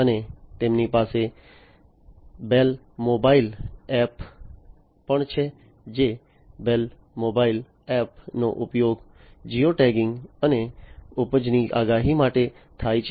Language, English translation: Gujarati, And they also have the bale mobile app the bale mobile app is used for geo tagging and yield forecasting